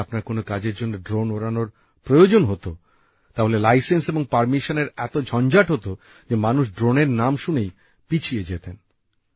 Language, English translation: Bengali, If you have to fly a drone for any work, then there was such a hassle of license and permission that people would give up on the mere mention of the name of drone